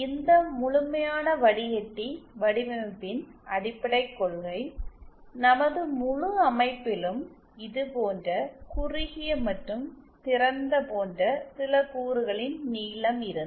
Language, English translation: Tamil, The basic principle of this commensurate filter design that if in our entire system the length of certain element like this short and open